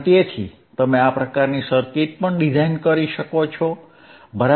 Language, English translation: Gujarati, So, you can also design this kind of circuit, right